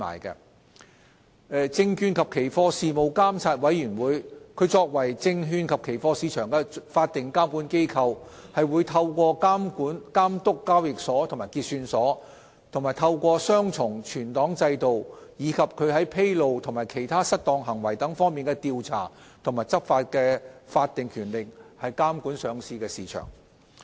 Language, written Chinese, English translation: Cantonese, 作為證券及期貨市場的法定監管機構，證券及期貨事務監察委員會則透過監督交易所及結算所、雙重存檔制度，以及其在披露和其他失當行為等方面的調查和執法的法定權力，監管上市市場。, As the statutory regulator of the securities and futures markets the Securities and Futures Commission SFC regulates the listing market through supervision of exchanges and clearing houses as well as the dual filing regime; and its statutory investigation and enforcement powers over matters such as disclosure and other misconduct